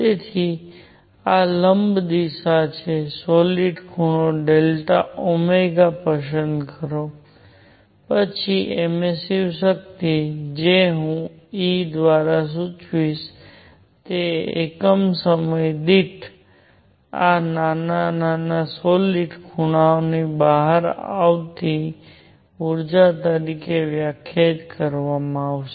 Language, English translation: Gujarati, So, this is perpendicular direction, choose a solid angle delta omega, then emissive power which I will denote by e is defined as energy coming out in this small solid angle in per unit time